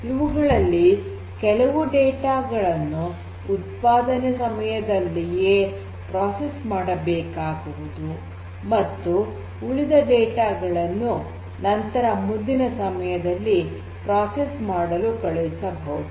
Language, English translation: Kannada, And some of this data will have to be processed as soon as or as close as possible to the point of generation and the rest of the data can be sent for further processing at a later point in time